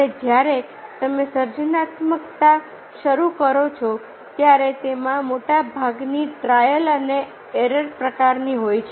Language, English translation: Gujarati, and when you start the creativity there is much of it is of trial and error types